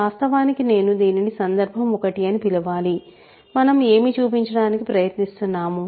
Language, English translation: Telugu, So, actually I should call this case 1 by the way, what are we trying to show